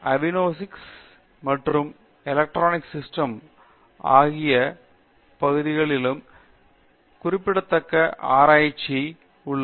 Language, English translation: Tamil, And even areas such as avionics and electronic system there is significant research that is going on